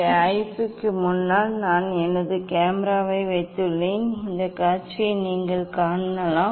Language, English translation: Tamil, here in front of IP s I have just put my camera you can see this filled of view